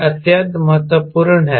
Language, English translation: Hindi, this is extremely important